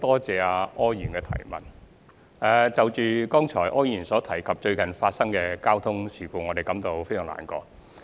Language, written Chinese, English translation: Cantonese, 就柯議員剛才所提及於近期發生的交通事故，我們感到十分難過。, We feel very sorry about the various recent traffic accidents mentioned by Mr OR just now